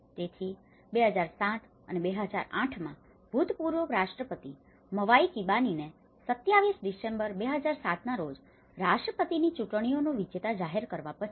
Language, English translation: Gujarati, So, in 2007 and 2008, after the former President Mwai Kibaki was declared the winner of the presidential elections in December 27, 2007